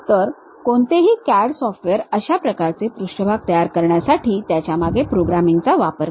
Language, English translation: Marathi, So, any CAD software actually employs that background programming, to construct such kind of surfaces